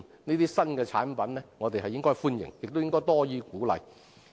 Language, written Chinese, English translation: Cantonese, 我們應該歡迎這些新產品，亦應該多予鼓勵。, We should welcome such new products and more encouragement should be made